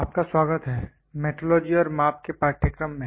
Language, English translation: Hindi, Welcome, to the course on Metrology and measurements